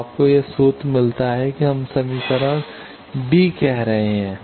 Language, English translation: Hindi, So, you get this formula it is we are calling equation b